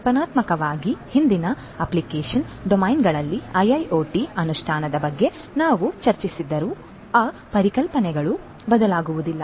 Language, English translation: Kannada, Conceptually whatever we have discussed about the implementation of IIoT in the previous application domains, those concepts will not change